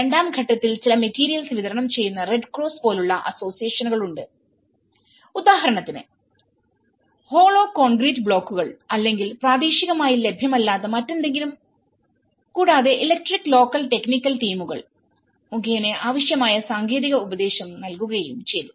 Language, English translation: Malayalam, In the stage two, there are associations the Red Cross supplied some materials, like for example in terms of hollow concrete blocks or any other which are not locally available and it also have provided the necessary technical advice through the electric local technical teams